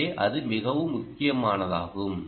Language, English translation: Tamil, so that is a very critical problem